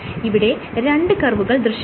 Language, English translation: Malayalam, So, this portion of the curves